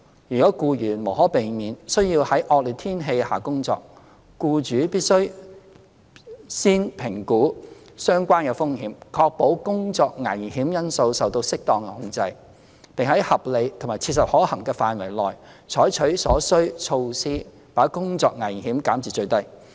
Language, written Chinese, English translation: Cantonese, 如僱員無可避免須要在惡劣天氣下工作，僱主必須預先評估相關風險，確保工作危險因素受到適當的控制，並在合理及切實可行範圍內採取所需措施把工作危險減至最低。, If it is inevitable for an employee to work during inclement weather the employer should assess the relevant risks in advance so as to ensure the work hazards are properly controlled and adopt so far as is reasonably practicable the necessary measures to minimize the risks . As regards employees compensation the Employees Compensation Ordinance ECO provides that when Typhoon Signal No